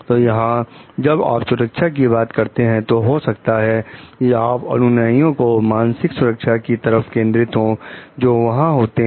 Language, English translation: Hindi, So, here when you are talking of safety, maybe we are focusing more towards the psychological safety of the followers, who are there